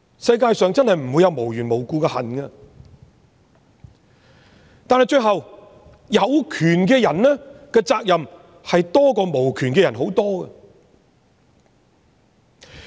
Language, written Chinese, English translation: Cantonese, 世界上真的不會有無緣無故的恨，但到最後，有權的人的責任，遠比無權的人多。, It is true that there is no such thing as hatred without cause and in the final analysis people with powers have far more responsibilities than the powerless